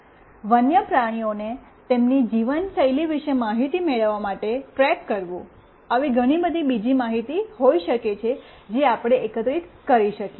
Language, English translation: Gujarati, Tracking wildlife to gain information about their lifestyle, there could be many other information we can gather